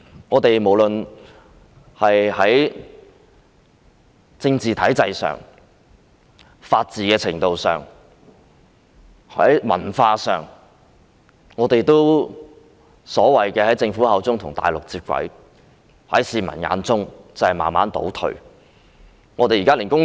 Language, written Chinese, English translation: Cantonese, 香港無論在政治體制、法治程度、文化上都如政府所謂的與內地接軌，在市民眼中卻是慢慢倒退。, Whether in respect of the political system the rule of law or culture Hong Kong has already aligned with the Mainland as the Government has put it but this is a gradual regression in the eyes of the public